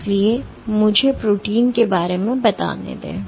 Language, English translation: Hindi, So, let me approximate the protein